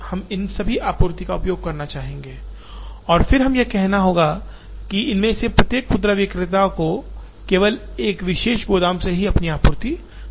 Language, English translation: Hindi, We also would like to use all these supplies and then we have to say that, each of these retailers will get their supplies only from one particular warehouse